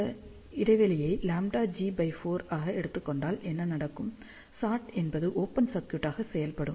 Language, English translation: Tamil, So, if you take this spacing as lambda g by 4, what will happen shot will act as open circuit